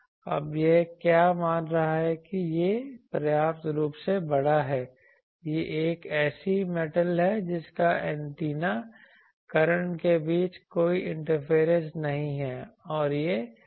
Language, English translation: Hindi, Now what is assuming that this is sufficiently large this is a metal that there is no interaction between the antennas currents and this metal that is the assumption